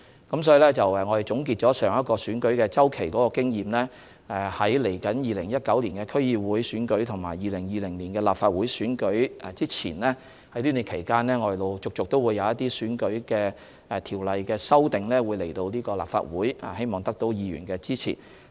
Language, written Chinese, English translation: Cantonese, 因此在總結上一個選舉周期的經驗後，在2019年區議會選舉和2020年立法會選舉舉行前的這段期間，我們會陸續將一些選舉條例的修訂提交立法會，希望得到議員支持。, Therefore drawing from the experience of the last electoral cycle we will present amendments to the electoral legislation to the Legislative Council before the District Council Election in 2019 and the Legislative Council Election in 2020 and we hope Members will support them